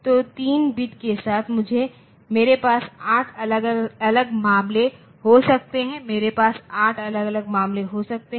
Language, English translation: Hindi, So, with three bits I can have 8 different cases I can have 8 different cases